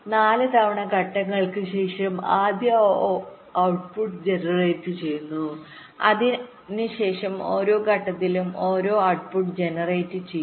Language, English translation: Malayalam, you see, after four times steps, the first output is generated and after that, in every time steps, one output will get generated